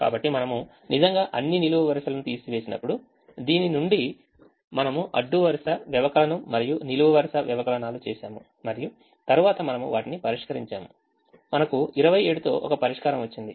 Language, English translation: Telugu, so when we actually did all the columns, subtraction and so on from this, we did the row subtraction and column subtraction and then we solve them, we got a solution with twenty seven, so variable